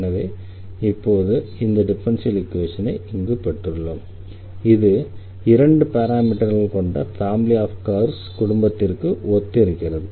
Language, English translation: Tamil, So, now, we got this differential equation here, which corresponds to this family of curves with two parameters